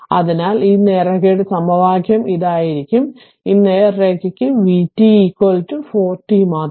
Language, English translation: Malayalam, So that means, your this your this equation of this straight line will be your what you call; v t for this straight line only v t is equal to 4 t right